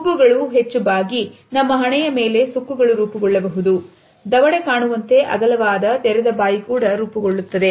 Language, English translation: Kannada, Eyebrows are high and curved, on our forehead wrinkles may be formed and a wide open mouth is also formed by a dropped jaw